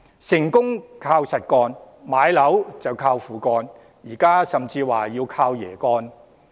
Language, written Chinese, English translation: Cantonese, 成功靠實幹，買樓則"靠父幹"，現在甚至說要"靠爺幹"。, Success hinges on hard work; buying a property hinges on fathers deeds; and now we may even say that this hinges on grandfathers deeds